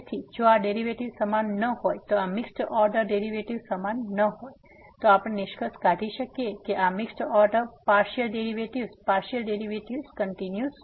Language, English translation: Gujarati, So, if these derivatives are not equal this mixed order derivatives are not equal, then we can conclude that the partial derivatives these mixed order partial derivatives are not continuous